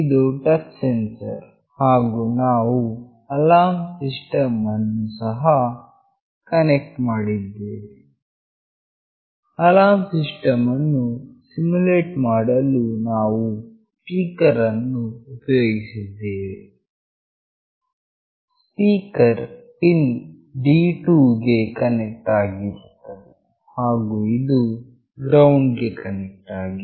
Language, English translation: Kannada, This is the touch sensor and we have also connected an alarm system; to simulate the alarm system we have used a speaker, the speaker is connected to pin D2 and this is connected to ground